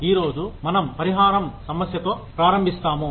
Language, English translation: Telugu, Today we will start with the issue of compensation